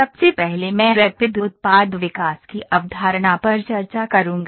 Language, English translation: Hindi, First I will discuss the concept of Rapid Product Development